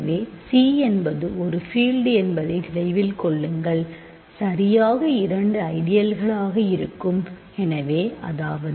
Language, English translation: Tamil, So, remember C is a field, any field as a exactly two ideal; so, namely the 0 ideal and C